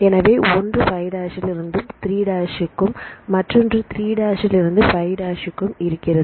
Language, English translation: Tamil, This is the 5’ to 3’ direction and here this is 3’ to 5’ direction